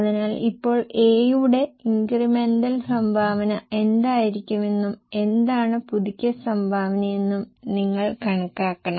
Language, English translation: Malayalam, So, now we have to calculate what will be the incremental contribution of A and what happens is, first of all, your sales of A